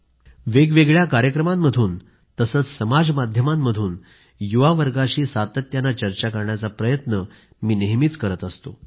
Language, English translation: Marathi, My effort is to have a continuous dialogue with the youth in various programmes or through social media